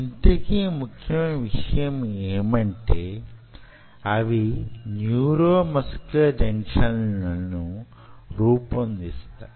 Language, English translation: Telugu, what is important is that they form the neuromuscular junctions here